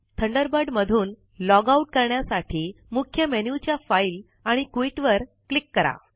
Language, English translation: Marathi, To log out of Thunderbird, from the Main menu, click File and Quit